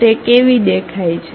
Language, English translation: Gujarati, How it looks like